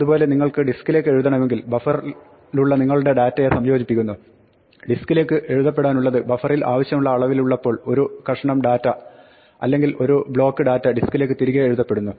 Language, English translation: Malayalam, Similarly, when you want to write to the disk you assemble your data in the buffer when the buffer is enough quantity to be written on the disk then one chunk of data or block is written back on the disk